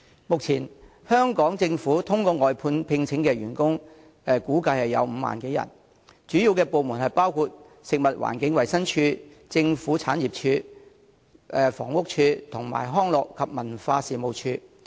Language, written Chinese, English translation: Cantonese, 目前，香港政府透過外判聘請的員工估計有5萬多人，主要部門包括食物環境衞生署、政府產業署、房屋署和康樂及文化事務署。, At present it is estimated that the Government has employed 50 000 - odd outsourced workers and the majority of them are employed under the Food and Environmental Hygiene Department the Government Property Agency the Housing Department and the Leisure and Cultural Services Department